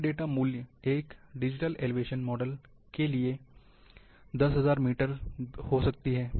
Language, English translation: Hindi, A no data value, for a digital elevation model, might be a value of 10,000 metre